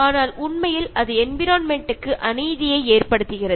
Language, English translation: Tamil, But it is actually causing environmental injustice